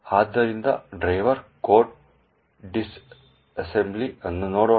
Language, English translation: Kannada, So, let us look at a disassembly of the driver code